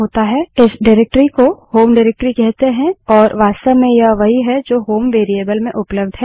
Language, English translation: Hindi, This directory is called the home directory and this is exactly what is available in HOME variable